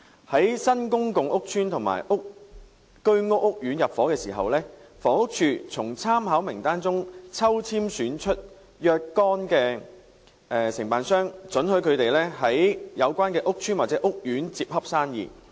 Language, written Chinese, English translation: Cantonese, 在新公共屋邨或居屋屋苑入伙時，房屋署會從參考名單中抽籤選出若干名承辦商，准許他們在有關屋邨或屋苑接洽生意。, When new public housing estates or Home Ownership Scheme courts are ready for intake HD will select by ballot from the Reference List a certain number of DCs who will be permitted to do business in such housing estates or courts